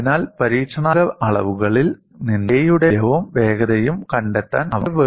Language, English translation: Malayalam, So, they were able to find out from the experimental measurement, both the value of K as well as the velocity